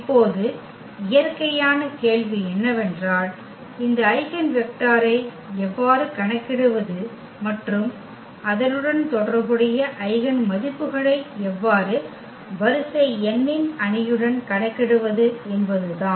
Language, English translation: Tamil, Now, the natural question is how to compute this eigenvector and how to compute the eigenvalues associated with this with the matrix of order n